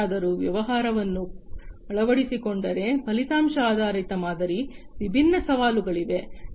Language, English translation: Kannada, So, you know if somebody if a business is adopting, the outcome based model, there are different challenges